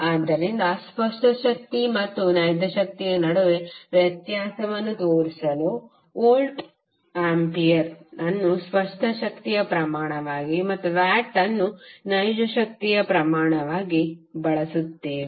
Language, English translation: Kannada, So just to differentiate between apparent power and the real power we use voltampere as a quantity for apparent power and watt as quantity for real power